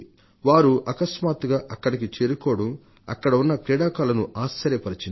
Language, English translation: Telugu, He suddenly reached there, much to the surprise of the sportspersons